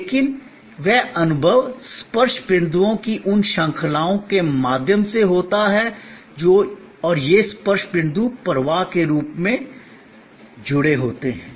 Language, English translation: Hindi, But, that experience happens through these series of touch points and this touch points are linked as a flow